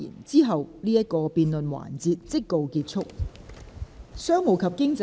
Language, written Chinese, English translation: Cantonese, 之後這個辯論環節即告結束。, Then this debate session will come to a close